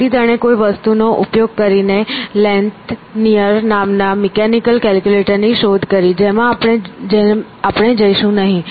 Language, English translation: Gujarati, So, he invented a mechanical calculator using something called Lanthonyer which we will not go into